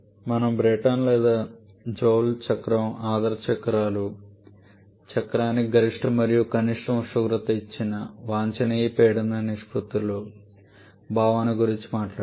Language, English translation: Telugu, Then we talked about the Brayton or Joule cycle the ideal cycles the concept of optimum pressure ratios for given maximum and minimum temperature for the cycle